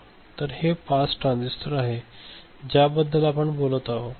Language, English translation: Marathi, So, that is you know the pass transistors that we are talking about ok